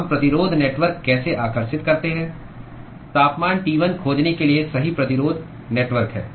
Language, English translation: Hindi, How do we draw the resistance network correct resistance network to find temperature T1